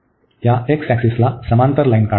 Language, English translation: Marathi, Let us draw a line parallel to this x axis